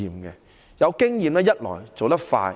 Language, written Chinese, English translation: Cantonese, 第一，有經驗可以做得快。, First with experience jobs can be done quickly